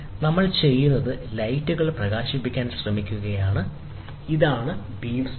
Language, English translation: Malayalam, So, what we do is we try to illuminate lights, this is the beam splitter